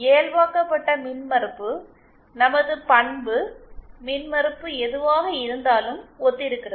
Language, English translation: Tamil, And normalised impedance corresponds to whatever our characteristic impedance is